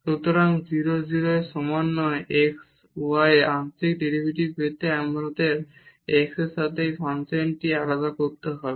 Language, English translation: Bengali, So, to get the partial derivative at x y with not equal to 0 0 we have to differentiate this function with respect to x